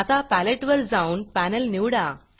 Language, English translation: Marathi, Now Go back to the Palette and choose a Panel